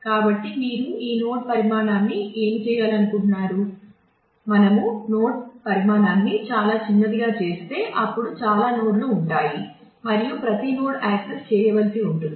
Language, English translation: Telugu, So, what would you like to make this node size, if we make the node size too small, then there will be too many nodes and every node will have to be accessed